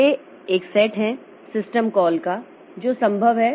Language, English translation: Hindi, So, there are a set of, there is a set of system calls that are possible